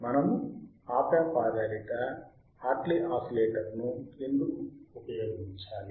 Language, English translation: Telugu, Why we have to use Op amp based Hartley oscillator